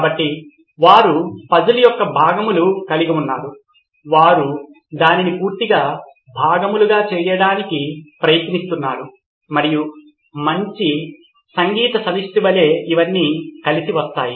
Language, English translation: Telugu, So they have pieces of the puzzle, they are trying to piece it altogether and like a good music ensemble it all comes together